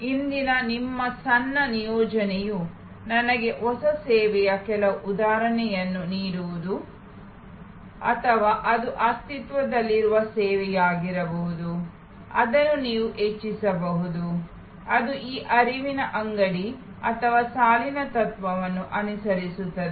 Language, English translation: Kannada, Your short assignment for today is to give me some example of a new service or it could be an existing service, which you can enhance, which follows these flow shop or line principle